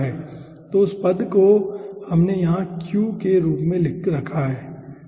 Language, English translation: Hindi, so that term we have kept over here as q, right